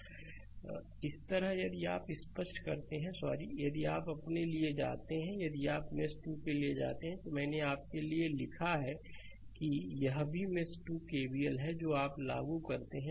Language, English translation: Hindi, Similarly, if you clear it, if you if you go to your sorry, if you go to for mesh 2 i, I wrote for you that this is also the mesh 2 KVL you apply